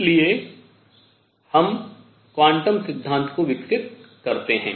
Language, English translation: Hindi, So, this was the build up to quantum theory